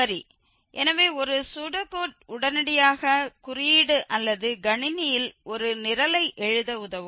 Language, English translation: Tamil, Well, so just a Pseudocode which can help immediately to code or the write a program in the computer